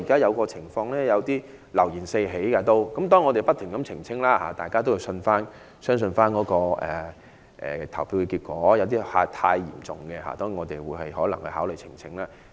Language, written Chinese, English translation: Cantonese, 現在流言四起，我們已不斷澄清，令大家信服投票結果，而問題太嚴重的，我們會考慮提出呈請。, Given that rumours are now flying around we have kept making clarifications to persuade people to accept the voting results . For serious problems we will consider lodging election petitions